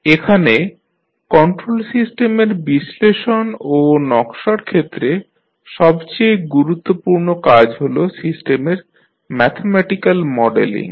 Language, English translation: Bengali, So, one of the most important task in the analysis and design of the control system is the mathematical modeling of the system